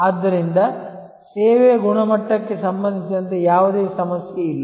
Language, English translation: Kannada, So, there is no problem with respect to the quality of service